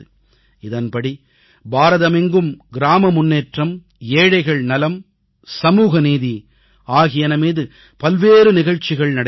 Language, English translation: Tamil, Under the aegis of this campaign, separate programmes on village development, poverty amelioration and social justice will be held throughout India